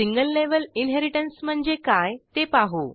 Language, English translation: Marathi, Let us see what is single level inheritance